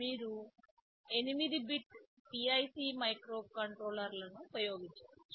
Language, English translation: Telugu, You can use 8 bit PIC microcontrollers